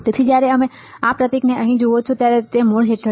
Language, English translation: Gujarati, So, when you see this symbol here right this is under root